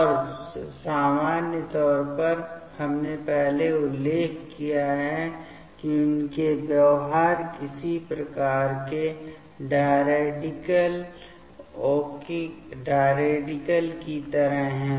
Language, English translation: Hindi, And in general, we have previously mentioned that their behaviors are some kind of like diradical ok